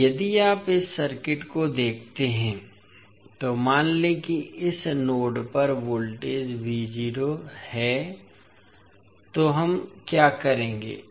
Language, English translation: Hindi, Now, if you see this particular circuit, let us assume that the voltage at this particular node is V naught, so what we will do